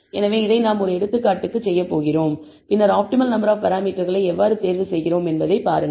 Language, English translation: Tamil, So, this is what we are going to do for one of the examples and then see how we pick the optimal number of parameter